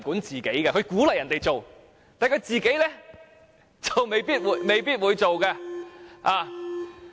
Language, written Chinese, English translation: Cantonese, 政府鼓勵別人做，但自己卻未必會做。, The Government encourages others to observe them but it may not necessarily follow them